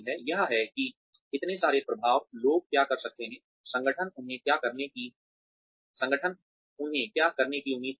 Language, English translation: Hindi, That has, so many influences on, what people can do, what the organization expects them to do